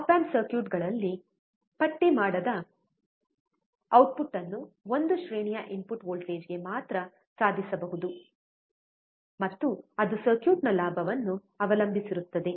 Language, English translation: Kannada, In op amp circuits, undistorted output can only be achieved for a range of input voltage, and that depends on gain of the circuit